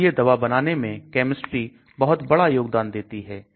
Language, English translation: Hindi, So the chemistry plays a very important role when you design drug